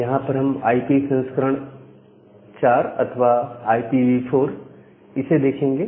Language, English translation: Hindi, So, here we look into the IP version 4 or IPv4 as we call it in short